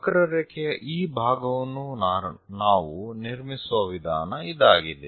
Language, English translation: Kannada, This is the way we construct part of that curve